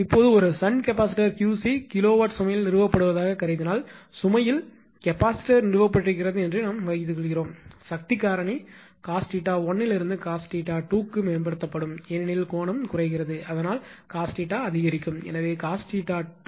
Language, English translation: Tamil, Now, when a shunt capacitor suppose Q c kilowatt is installed at the load; suppose capacitor installed at the load, the power factor can be improved from cos theta 1 to cos theta 2 because angle getting decrease, so cos theta will increase; so this is cos theta 2